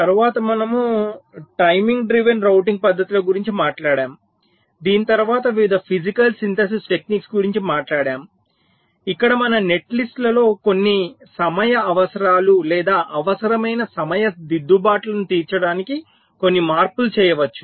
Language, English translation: Telugu, then we talked about the timing driven routing techniques and this was followed by various physical synthesis techniques where we can make some modifications to our netlists so as to meet some of the timing requirements or timing corrections that are required